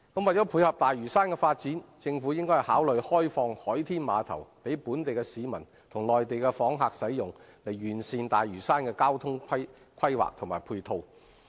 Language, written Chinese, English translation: Cantonese, 為配合大嶼山的發展，政府應考慮開放海天碼頭予本地市民及內地訪客使用，以完善大嶼山的交通規劃及配套。, In order to complement the development on Lantau the Government should consider opening the SkyPier for local residents and Mainland visitors so as to perfect Lantaus transport planning and ancillary facilities